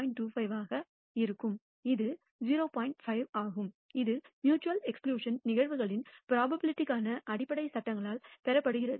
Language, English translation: Tamil, 5 which is obtained by a basic laws of probability of mutually exclusive events